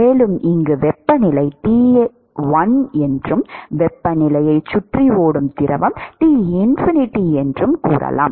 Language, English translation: Tamil, And let us say the temperature here is T1, and if the fluid which is flowing around the temperature is Tinfinity